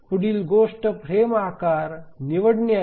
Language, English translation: Marathi, Now the next thing is to choose the frame size